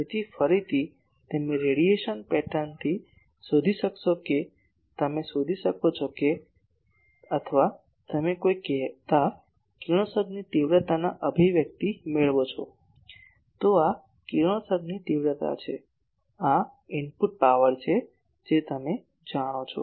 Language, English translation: Gujarati, So, again you find out from the radiation pattern you can find out or if you derive the expressions of a say (Refer Time: 36:18) radiation intensity, this is radiation intensity, this is input power that you have given you know